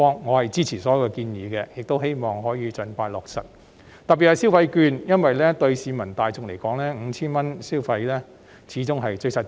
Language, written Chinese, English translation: Cantonese, 我支持並希望可以盡快落實全部建議，尤其是消費券，因為對市民大眾而言 ，5,000 元消費券始終最實際。, I support all the proposals and hope that they the issuance of consumption vouchers in particular can be implemented as soon as possible . After all the consumption vouchers of 5,000 are the most useful to the general public